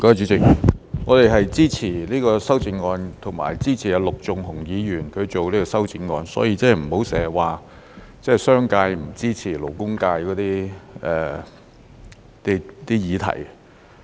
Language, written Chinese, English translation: Cantonese, 主席，我們是支持這項修正案和支持陸頌雄議員提出的修正案，所以不要經常說商界不支持勞工界的議題。, Chairman we support this amendment and the amendment proposed by Mr LUK Chung - hung so please do not keep saying that the business sector did not support the cause of the labour sector